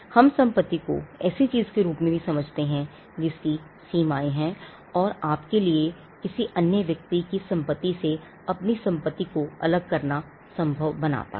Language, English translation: Hindi, We also understand property as something that has boundaries, which makes it possible for you to distinguish your property from another person’s property